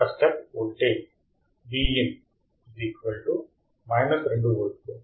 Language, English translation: Telugu, A step voltage Vin here is minus 2 volts